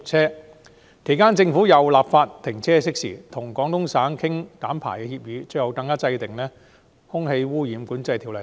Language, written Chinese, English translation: Cantonese, 在我任內，政府更就停車熄匙立法、與廣東省商討減排協議，並制定《空氣污染管制條例》。, During my tenure of office the Government also introduced legislation to ban idling engines negotiated an emissions reduction agreement with the Guangdong province and enacted the Air Pollution Control Ordinance